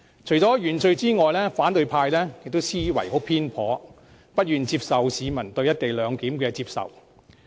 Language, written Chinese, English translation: Cantonese, 除了原罪外，反對派的思維偏頗，不願接受市民對"一地兩檢"的接受。, Apart from the original sins the opposition camp is narrow - minded in their refusal to acknowledge the peoples acceptance to co - location